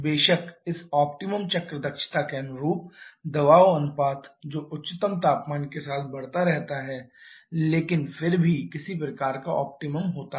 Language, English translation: Hindi, Of course the pressure ratio corresponding to this optimum cycle efficiency that keeps on increasing with the highest temperature but still there is some kind of optimum